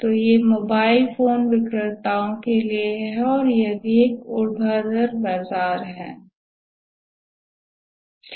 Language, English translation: Hindi, So that is for the mobile phone vendors and that is also a vertical market